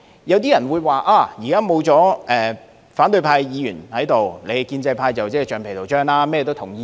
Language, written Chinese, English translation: Cantonese, 有些人認為，現在議會沒有反對派議員，建制派就是橡皮圖章，甚麼也會同意。, Some may argue that without opposition Members in the legislature in the days ahead the pro - establishment camp will endorse anything like a rubber stamp